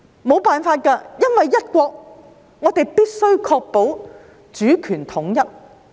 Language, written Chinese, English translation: Cantonese, 沒奈何，因為"一國"，我們必須確保主權統一。, Like it or not we have to ensure the unity of sovereignty because of one country which is a premise